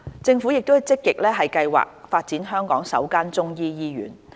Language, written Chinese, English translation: Cantonese, 政府正積極計劃發展香港首間中醫醫院。, The Government is actively planning for the development of the first Chinese medicine hospital in Hong Kong